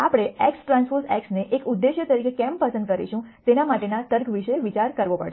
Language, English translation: Gujarati, We have to think about a rationale for, why we would choose x transpose x as an objective